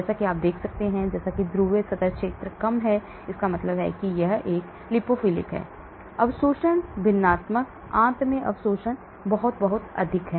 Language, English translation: Hindi, As you can see, as the polar surface area is low that means it is lipophilic, the absorption fractional, the absorption in the intestine is very, very high